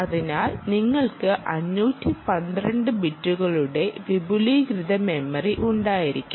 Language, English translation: Malayalam, so, essentially, you can have extended memory of five hundred and twelve bits